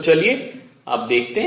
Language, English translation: Hindi, Let us see how we do that